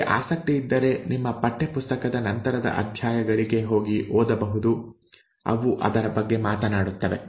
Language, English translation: Kannada, If you are interested you can go and read later chapters of your textbook, it does talk about that